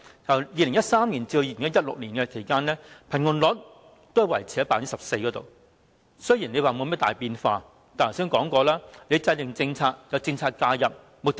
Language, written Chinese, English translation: Cantonese, 由2013年至2016年期間，貧窮率維持於 14%， 雖然沒有甚麼大變化，但正如我剛才所說，制訂政策和政策介入，目的為何？, During the period from 2013 to 2016 the poverty rate stayed at 14 % . Although there has been no significant change but as I said just now what is the purpose of policymaking and policy interventions?